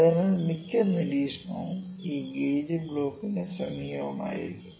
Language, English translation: Malayalam, So, most of the observation would be close to this only gauge block is this thing